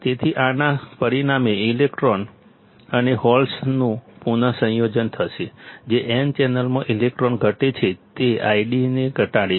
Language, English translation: Gujarati, So, this will result in recombination of electrons and holes that is electron in n channel decreases causes I D to decrease